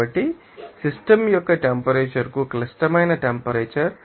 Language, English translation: Telugu, So, the critical temperature to the temperature of the system is greater than 1